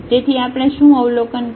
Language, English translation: Gujarati, So, what we have observed